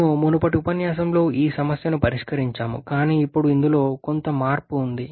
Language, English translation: Telugu, We have solved this problem in the previous lecture, but now I have changed here